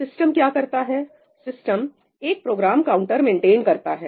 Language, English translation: Hindi, What the system does is, it maintains something called a Program Counter